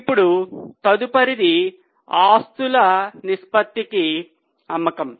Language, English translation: Telugu, Now next one is sale to assets ratio